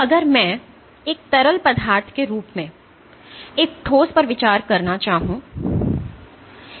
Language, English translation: Hindi, So, if I would to consider a solid as a fluid